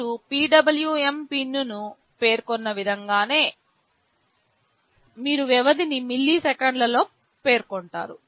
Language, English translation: Telugu, In the same way you specify a PWM pin, you specify the period in milliseconds